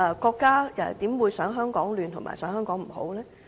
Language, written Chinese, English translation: Cantonese, 國家怎會想香港混亂和不好呢？, Why would the State want Hong Kong in chaos?